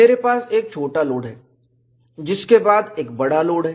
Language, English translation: Hindi, I have a smaller load followed by a larger load